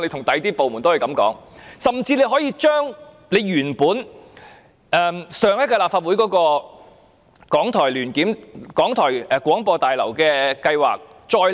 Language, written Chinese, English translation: Cantonese, 當局甚至可以將提交上屆立法會的港台新廣播大樓計劃，再次提交。, The authorities may even resubmit the proposal for the new Broadcasting House for RTHK which was submitted to the Legislative Council in the previous term